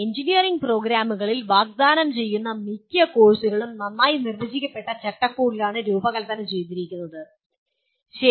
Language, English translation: Malayalam, Most of the courses offered in engineering programs are designed and offered in a well defined frameworks, okay